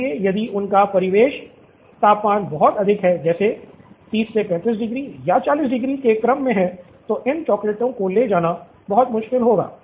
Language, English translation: Hindi, So if their ambient temperature is very very high, say in the order of 30 35 degrees or 40 degrees it’s going to be very difficult transporting these chocolates